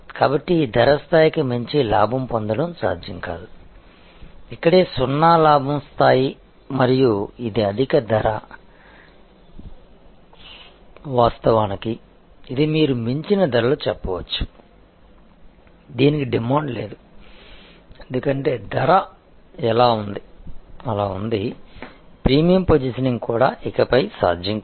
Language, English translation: Telugu, So, it is not possible to profit beyond this price level, this is where a maybe the zero profit level and this is the high price, actually this is you can say a price beyond, which there is no demand, because a price is so high that even the premium positioning is no longer possible